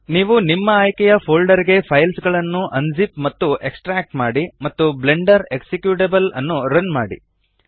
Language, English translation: Kannada, You would need to unzip and extract the files to a folder of your choice and run the Blender executable